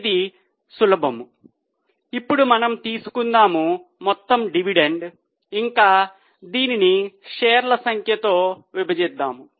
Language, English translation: Telugu, So, it is simple now we will take total dividend and divide it by number of shares